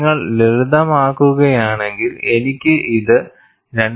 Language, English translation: Malayalam, And if you simplify, I can simply write this as 2